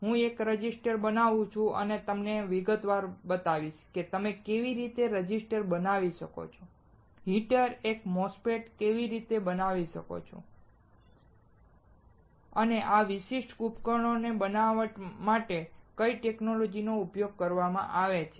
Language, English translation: Gujarati, I will fabricate one resistor, and will show you in detail, how you can fabricate a resistor, a heater a MOSFET, and what are technologies used for fabricating these particular devices